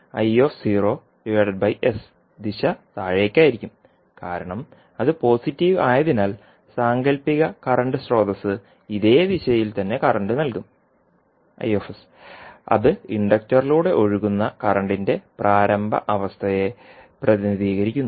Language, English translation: Malayalam, So, I naught by s the direction will be downward because it is positive so, current i s will give you the same direction for fictitious current source which you will add form representing the initial condition of current flowing through the inductor